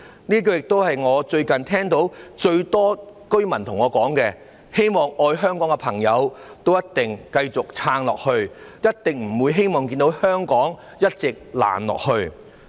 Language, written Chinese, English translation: Cantonese, 這一句亦是我最近經常聽到最多居民對我說的話，希望愛香港的朋友一定要繼續撐下去，他們一定不希望看到香港一直"爛下去"。, These are also the words that I heard people say to me most often recently . I hope people who love Hong Kong will soldier on as they surely do not want to see Hong Kong continue to rot